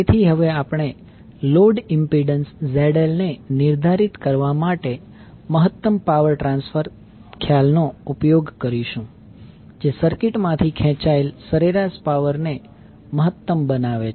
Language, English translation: Gujarati, So, now we will use the maximum power transfer concept to determine the load impedance ZL that maximizes the average power drawn from the circuit